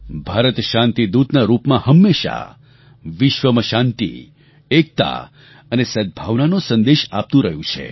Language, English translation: Gujarati, India has always been giving a message of peace, unity and harmony to the world